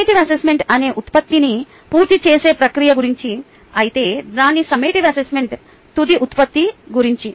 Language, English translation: Telugu, formative assessment is all about the process towards completing the product, whereas its ah summative assessment